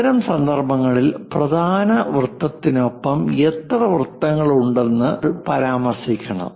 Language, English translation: Malayalam, In that case we really mention how many circles are present and along which main circle they were placed